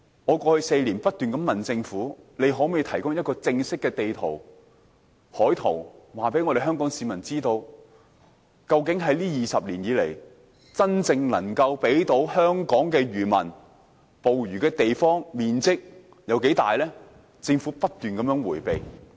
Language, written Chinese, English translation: Cantonese, 我過去4年不斷問政府，可否提供正式的海岸地圖，告訴香港市民究竟在這20年以來，真正能夠讓漁民捕魚的水域面積有多大，但政府不斷迴避。, Over the last four years I have kept asking the Government to provide an official marine and coastal waters map so as to let Hong Kong people know the size of waters actually available to fishermen over the past 20 years or so . But the Government has kept evading the question